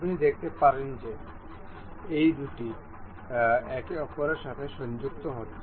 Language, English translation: Bengali, You can see these two getting aligned to each other